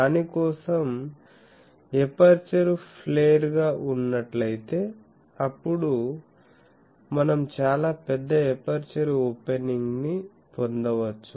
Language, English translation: Telugu, So, for that the idea is the if the aperture is flared, then we can get a much larger aperture opening